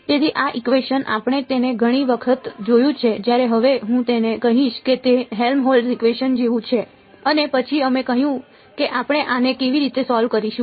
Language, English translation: Gujarati, So, this equation we have seen it many times when now we I will call this it is like a Helmholtz equation and then we said how do we solve this